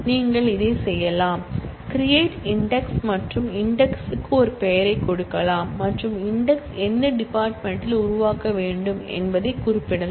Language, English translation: Tamil, You can do this, I can say create index and give a name for the index and specify which field on which the index should be created